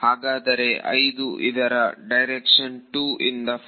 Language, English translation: Kannada, So, the direction of 5 is from 2 to 4